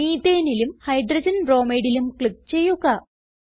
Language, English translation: Malayalam, Methane and Hydrogen bromide are formed